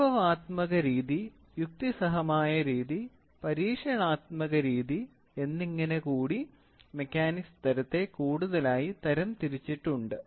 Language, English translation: Malayalam, We have now further classified, the mechanism type in to empirical method, rational method and experimental method